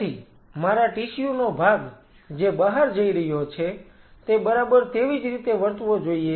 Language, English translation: Gujarati, So, part of my tissue which is going outside should exactly behave the same way